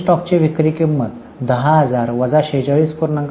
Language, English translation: Marathi, So, the selling price of closing stock is 10,000 minus 46